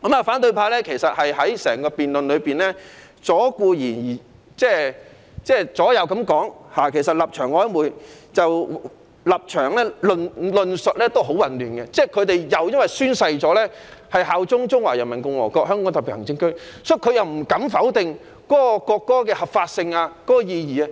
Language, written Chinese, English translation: Cantonese, 反對派在辯論中顧左右而言他，立場曖昧，論述混亂，可能因為他們曾宣誓效忠中華人民共和國香港特別行政區，不敢否定國歌的合法性和意義。, In the debate opposition Members are equivocal their stances are ambiguous and their arguments are confusing . Perhaps it is because they have sworn allegiance to the Hong Kong Special Administrative Region of the Peoples Republic of China and dare not deny the legitimacy and significance of the national anthem